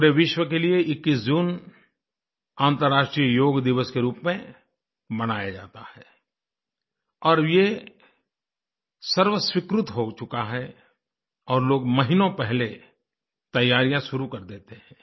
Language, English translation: Hindi, The 21stof June has been mandated and is celebrated as the International Yoga Day in the entire world and people start preparing for it months in advance